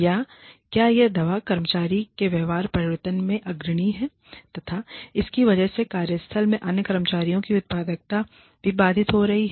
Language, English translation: Hindi, Or, whether it is leading to behaviors by the employee, that disrupt the productivity, the output of other employees, in the workplace